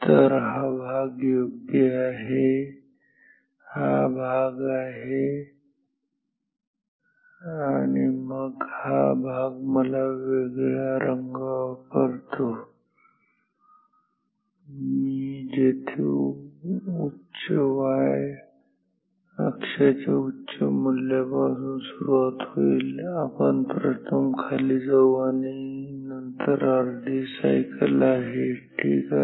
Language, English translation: Marathi, So, this is this portion right, this is this portion and then we will have this portion let me use a different colour, which will come here as starting from high value of high y axis we go down first and then a half cycle ok